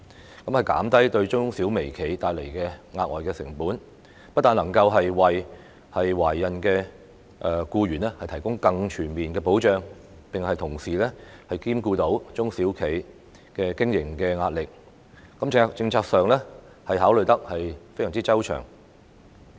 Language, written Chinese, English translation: Cantonese, 這樣可以減低對中小微企帶來的額外成本，不但能夠為懷孕僱員提供更全面的保障，並同時能兼顧中小企經營的壓力，在政策上，考慮得非常周詳。, This move would reduce the additional cost to MSMEs . It can not only provide more comprehensive protection for pregnant employees but also tackle the business stress experienced by small and medium enterprises . The policy is a result of comprehensive consideration